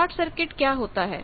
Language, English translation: Hindi, What is short circuit